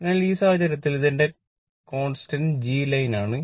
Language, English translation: Malayalam, So, in this case your this is my your constantthis is my constant G line